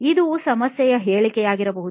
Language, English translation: Kannada, That could be a problem statement